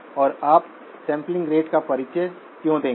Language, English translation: Hindi, And why would you introduce multirate sampling rates